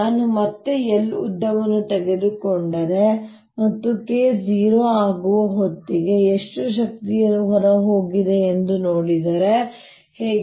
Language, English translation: Kannada, how about if i take again a length l and see how much energy has flown out